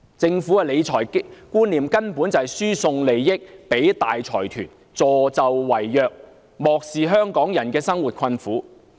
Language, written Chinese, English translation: Cantonese, 政府的理財觀念，根本就是輸送利益予大財團，助紂為虐，漠視香港人的生活困苦的景況。, The Governments concept of financial management is basically to transfer benefits to big consortia and helps the rich to rob the poor in total disregard of the plight of Hong Kong people